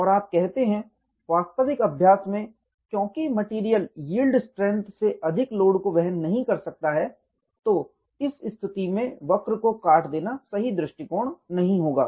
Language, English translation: Hindi, And you say, in actual practice because the material cannot sustain load beyond the yield strength, simply cutting this curve at that position will not be the right approach